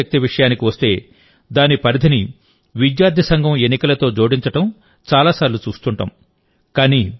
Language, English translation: Telugu, Many times we see that when student power is referred to, its scope is limited by linking it with the student union elections